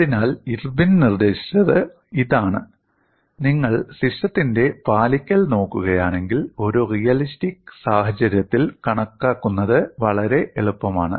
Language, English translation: Malayalam, So, what Irwin suggested was if you look at the compliance of the system, it is lot more easier to calculate in a realistic scenario